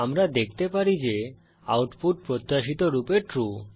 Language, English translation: Bengali, As we can see, the output is True